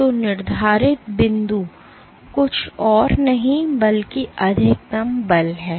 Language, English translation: Hindi, So, set point is nothing but the maximum force